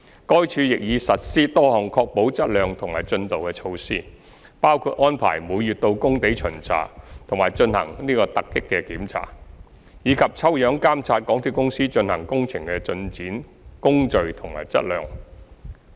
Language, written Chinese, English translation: Cantonese, 該署亦已實施多項確保質量及進度的措施，包括安排每月到工地巡查及進行突擊檢查，以及抽樣監察港鐵公司進行工程的進展、工序及質量。, HyD also implemented measures to assure works quality and progress including arranging monthly site inspections conducting surprise checks and engaging audit sampling for the progress procedures and quality of the works by MTRCL